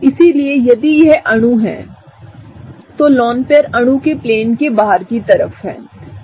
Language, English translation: Hindi, So, if this is the molecule here, the lone pair is kind of directed outside of the plane of the molecule